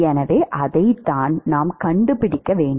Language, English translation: Tamil, So, that is what we want to find